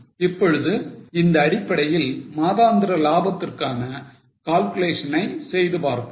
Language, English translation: Tamil, Now based on this, let us make the calculation of monthly profits